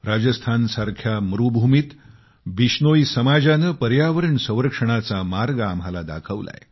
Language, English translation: Marathi, TheBishnoi community in the desert land of Rajasthan has shown us a way of environment protection